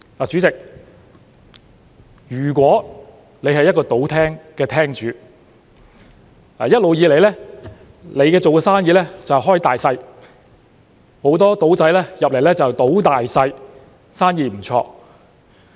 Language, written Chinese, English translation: Cantonese, 主席，如果你是一個賭廳的廳主，一直以來，你做的生意是"開大細"，很多"賭仔"進來"賭大細"，生意不錯。, President suppose you were a gambling hall operator and had been running the game of Sic Bo there . The hall was frequented by many gamblers and the business had been quite good